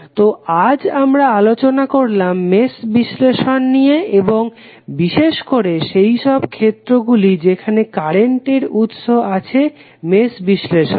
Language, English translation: Bengali, So, today we discussed about the mesh analysis and particularly the case where current sources available in the mesh analysis